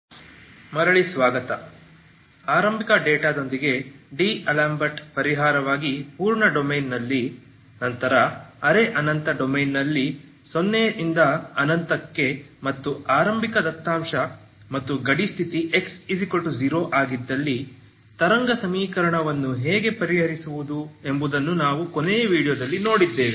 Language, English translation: Kannada, So welcome back last video we have seen how to solve wave equation in the full domain as a D'Alembert's solution of course with initial data, then on a semi infinite domain 0 to infinity with initial data and a boundary condition at x equal to 0